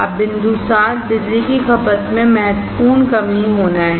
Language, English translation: Hindi, Now, the point 7 is the significant reduction in the power consumption